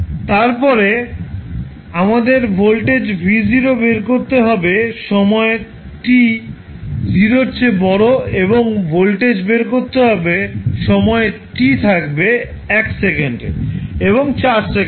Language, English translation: Bengali, We have to find the voltage v naught at time t greater than 0 and calculate the value of time voltage at time t is equal to 1 second and 4 second